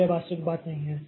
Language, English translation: Hindi, So, this is not the practical thing